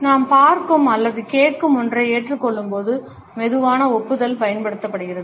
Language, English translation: Tamil, A slow nod is used when we agree with something we see or listen to